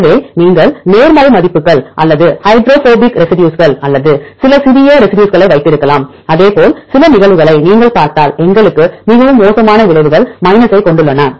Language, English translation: Tamil, So, you can have the positive values or the hydrophobic residues or some small residues, likewise if you see some cases we have very adverse effects have minus